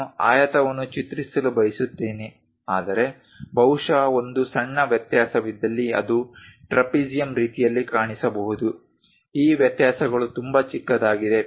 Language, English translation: Kannada, I want to draw rectangle, but perhaps there is a small variation it might look like trapezium kind of thing, these variations are very small